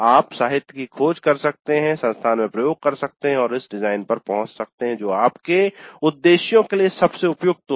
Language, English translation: Hindi, You can search the literature, you can experiment in the institute and arrive at the design which best suits your purposes, your context